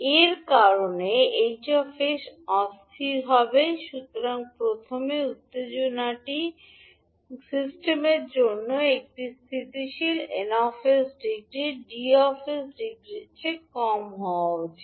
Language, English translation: Bengali, Because of this the h s will be unstable, so the first requirement is that this for system for be stable the n s should be less than the degree of n s should be less than the degree of d s